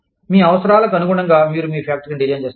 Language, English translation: Telugu, You design your factory, according to your needs